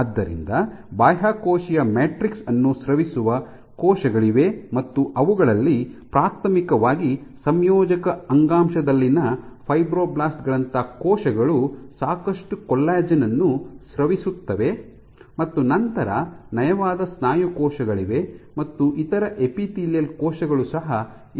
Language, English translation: Kannada, So, there are cells which secrete the extracellular matrix, so, primary among them is cells like fibroblasts in the connective tissue, which secret lot of collagen similarly smooth muscle cells are other epithelial cells ok